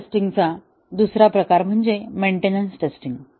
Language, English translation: Marathi, Another type of system test is the maintenance test